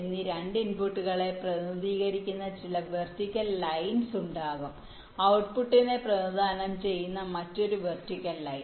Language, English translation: Malayalam, ok, so there will be some vertical lines that will represent the two inputs, a and b, and there will be another vertical line that will represent the output